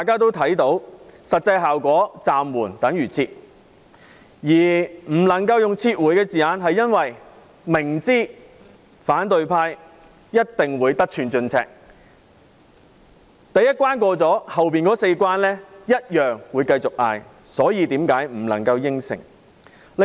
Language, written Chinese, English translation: Cantonese, 雖然實際效果是"暫緩"等於"撤回"，但不能夠用"撤回"這用詞，是因為政府明知反對派一定會得寸進尺，第一關過了，會繼續嚷着要通過隨後的四關，所以不能夠應承。, Although the practical effect of suspension is withdrawal the term withdrawal cannot be used because the Government knows very well that after the first demand is met the opposition camp will press for more until the other four demands are acceded to . Thus no promise should be made